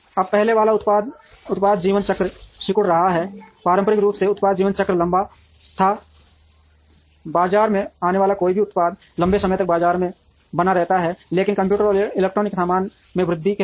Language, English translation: Hindi, Now, the first one is shrinking product life cycles, traditionally product life cycle were longer, any product that came into the market survived in the market for a long time, but with increase in computers and electronic goods